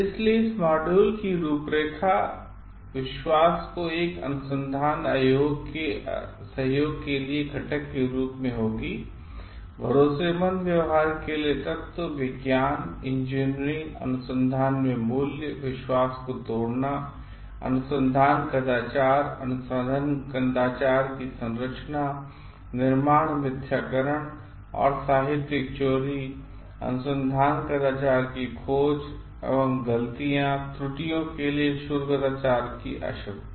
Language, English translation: Hindi, So, the outline of the module will be trust as an ingredient to research collaboration, elements for trustworthy behaviour, values in science and engineering research, breaking the trust, research misconduct, composition of research misconduct, fabrication falsification and plagiarism, finding of research misconduct requires what research misconduct versus mistakes and errors